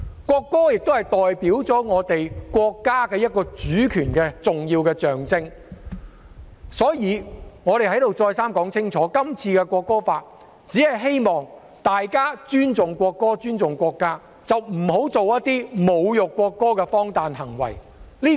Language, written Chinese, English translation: Cantonese, 國歌亦是代表我們國家主權的一個重要象徵，所以我在此再三說明，《條例草案》只是希望大家尊重國歌及尊重國家，不要做一些侮辱國歌的荒誕行為。, The national anthem is also an important symbol representing national sovereignty I thus have to repeat once and again here that the Bill only aims to ensure that people would respect the national anthem and the country and would not engage in some absurd behaviours to insult the national anthem